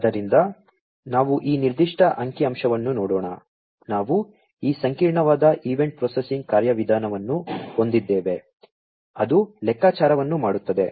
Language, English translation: Kannada, So, let us look at this particular figure, we have this complex event processing mechanism, which does the computation